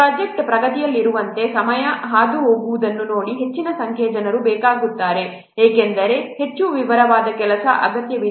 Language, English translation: Kannada, See, as the time is passing, at the project progresses, more number of people are required because what more detailed work is required